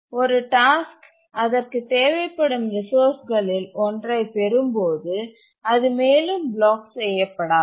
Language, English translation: Tamil, When a task gets one of its resource, it is not blocked any further